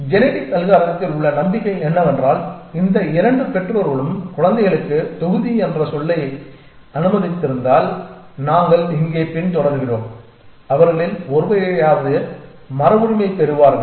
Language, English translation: Tamil, The hope in genetic algorithm is that if these 2 parents have let say 2 children that is module that we are following here at least one of them will inherit